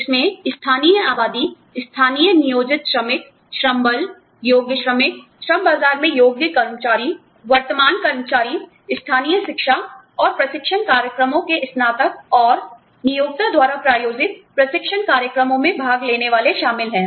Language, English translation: Hindi, That include, local population, local employed workers, labor force, qualified workers, qualified workers in the labor market, current employees, graduates of local education and training programs, and participants in training programs, sponsored by the employer